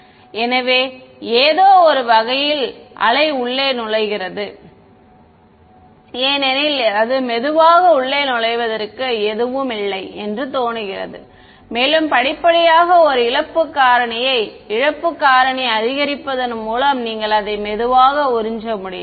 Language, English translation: Tamil, So, the wave in some sense enters inside because there is it seems that there is nothing its slowly enters inside and by gradually increasing a loss factor you are able to gently absorb it ok